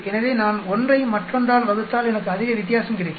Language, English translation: Tamil, So, if I am dividing 1 by other I will get much difference